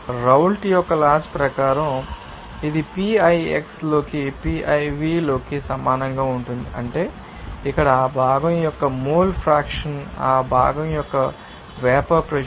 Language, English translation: Telugu, As per Raoult’s Law it p i will be equal x i into p iv into T that means, here mole fraction of that component into vapour pressure of that component